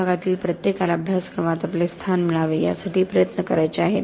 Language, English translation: Marathi, Everybody in the department wants to strive for their place in the curriculum